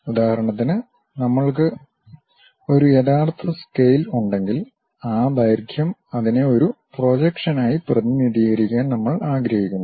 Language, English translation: Malayalam, For example, if we have a real scale, that length we want to represent it as a projection